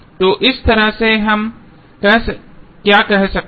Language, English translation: Hindi, So, in that way what we can say